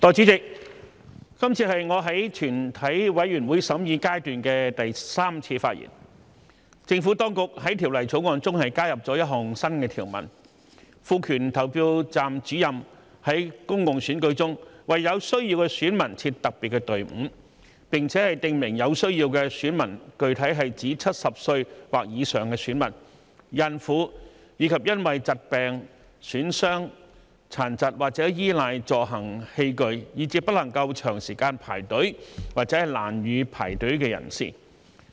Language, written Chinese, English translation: Cantonese, 政府當局在《2021年完善選舉制度條例草案》中加入了一項新條文，賦權投票站主任在公共選舉中為有需要的選民設特別隊伍，並且訂明有需要的選民具體是指70歲或以上的選民、孕婦，以及因為疾病、損傷、殘疾或依賴助行器具，以致不能夠長時間排隊或難以排隊的人士。, The Administration has added a new provision under the Improving Electoral System Bill 2021 to empower Presiding Officers PROs to set up a special queue for electors in need in public elections . It is also specified that electors in need specifically refers to electors aged 70 or above pregnant women and persons who are unable to queue for a long time or have difficulty in queuing due to illness injury disability or dependence on mobility aids